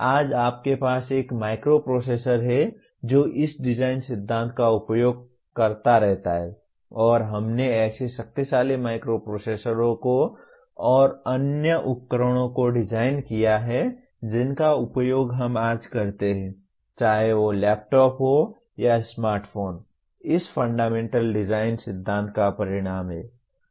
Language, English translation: Hindi, Today, you have a microprocessor which keeps using this design principle, and we have designed such powerful microprocessors and the devices that we use today whether it is laptops or smartphones are the result of this fundamental design principle